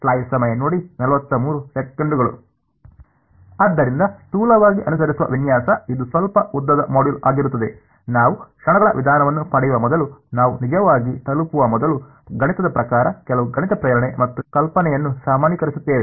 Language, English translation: Kannada, So roughly the layout that will follow, this is going to be a slightly lengthy module is before we get to actually before we get to the method of moments, we will look at some math motivation and generalization of the idea mathematically what it is